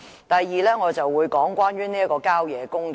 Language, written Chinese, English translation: Cantonese, 第二，我會談談郊野公園。, Second I will talk about country parks